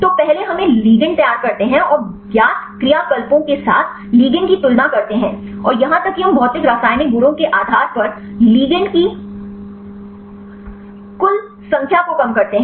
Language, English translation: Hindi, So, first we prepare the ligand and compare the ligand with the known actives and even we reduce the total number of ligands based on the physicochemical properties